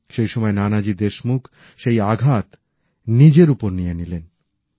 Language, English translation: Bengali, It was Nanaji Deshmukh then, who took the blow onto himself